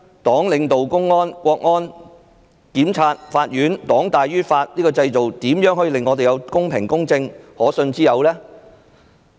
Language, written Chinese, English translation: Cantonese, 黨領導公安、國安、檢察、法院，黨大於法，這個制度如何公平公正和可信之有？, CPC leads the Public Security Bureau the Ministry of State Security the prosecution and the courts . CPC is superior to the law . How will such a system be fair impartial and credible?